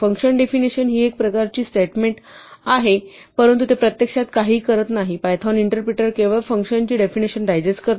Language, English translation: Marathi, Now, function definition is a kind of statement, but it does not actually result in anything happening, the python interpreter merely digests the function kind of remembers the function definition